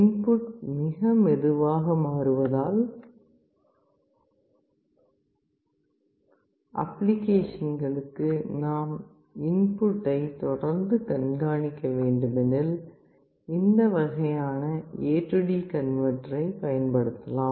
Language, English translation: Tamil, For applications where the input is changing very slowly and we will need to continuously track the input you can use this kind of AD converter